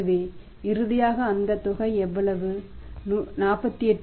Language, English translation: Tamil, So, finally we are going to have how much that amount is going to be something like 48